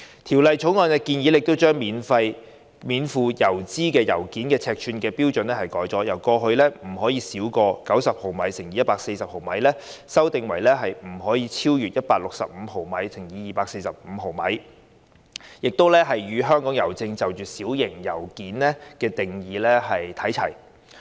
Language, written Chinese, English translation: Cantonese, 《條例草案》建議將免付郵資的信件尺寸標準，由過去不得超過90毫米乘以140毫米，修訂為不超逾165毫米乘以245毫米，與香港郵政就"小型信件"的定義看齊。, Under the Bill the requirement on the size of postage - free letters will be amended from not smaller than 90 mm x 140 mm to not exceeding 165 mm x 245 mm to align with the size limit of small letters according to Hongkong Posts definition